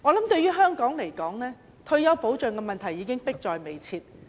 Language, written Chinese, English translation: Cantonese, 對於香港來說，退休保障問題已經迫在眉睫。, To Hong Kong retirement protection is already an imminent problem